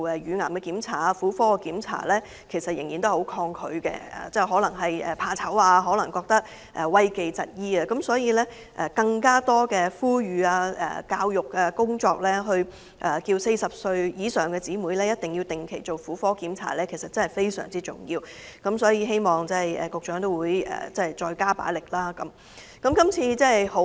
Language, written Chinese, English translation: Cantonese, 因此，政府應該多加呼籲婦女注意身體健康及加強公眾教育工作，提醒40歲以上的女士必須定期進行婦科檢查，這點確實非常重要，希望局長會再加大這方面工作的力度。, It is therefore very important that the Government should step up publicity efforts to promote health awareness among women and strengthen public education in this regard encouraging women over the age of 40 to attend gynaecological check - ups on a regular basis . I hope that the Secretary will step up efforts in this area